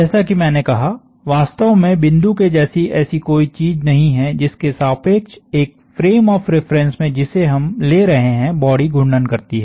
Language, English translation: Hindi, In fact, like we said there is no such thing as a point about which the body rotates in the frame of reference we are dealing with